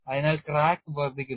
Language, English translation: Malayalam, So, how do you stop the crack